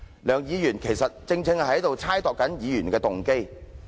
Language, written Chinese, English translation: Cantonese, 梁議員其實是在猜度議員的動機。, Dr LEUNG was actually speculating on Members motives